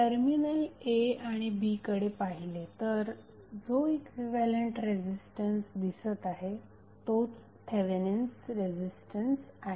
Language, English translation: Marathi, So, if you look from this side into the terminal a and b the equivalent resistance which you will see from here is nothing but the Thevenin resistance